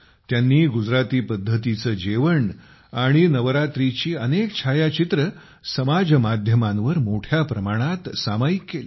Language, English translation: Marathi, They also shared a lot of pictures of Gujarati food and Navratri on social media